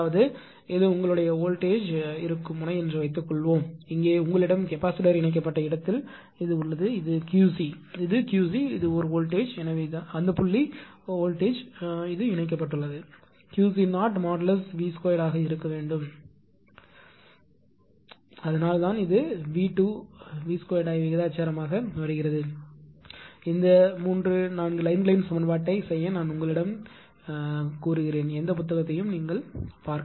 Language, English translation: Tamil, That means, suppose this is your this is the node where voltage is there and here you have you have where capacitor is connected right it is Q c, it is Q c this is a voltage right therefore, where it is connected only that point voltage it will be Q c 0 V square that is this one why it is coming V square proportional to I will ask you to do this 3 4 lines equation and see any book it is there